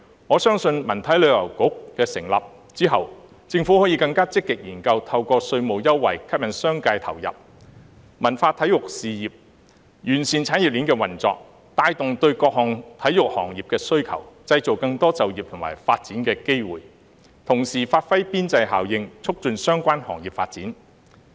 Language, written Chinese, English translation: Cantonese, 我相信在文體旅遊局成立之後，政府可以更積極研究透過稅務優惠，吸引商界投入文化體育事業，完善產業鏈的運作，帶動對各項體育行業的需求，製造更多就業和發展機會，同時發揮邊際效應，促進相關行業發展。, I believe the Government can with the establishment of the Culture Sports and Tourism Bureau explore more proactively the use of tax concessions to attract the business sector to invest in the cultural and sports industries so as to improve the operation of the industry chain boost demand for various sports industries create more employment and development opportunities and at the same time give full play to the marginal effect and promote the development of related industries